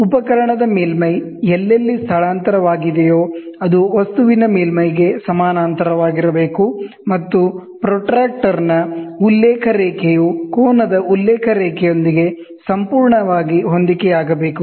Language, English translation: Kannada, The surface of the instrument, wherever displace should be parallel to the surface of the object, and the reference line of the protractor should coincide perfectly with the reference line of the angle